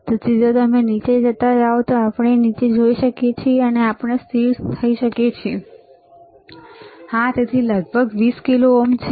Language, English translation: Gujarati, So, if you go down can we go down and can we see still, yes, so, this is around 20 kilo ohms